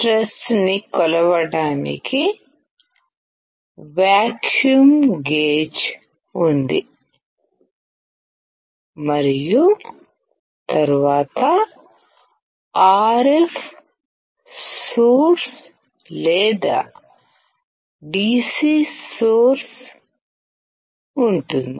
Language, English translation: Telugu, There is vacuum gauge to measure the pressure and then there is an RF source or DC source